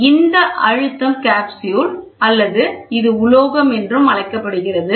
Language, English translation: Tamil, So, this is the pressure capsule or it is called metal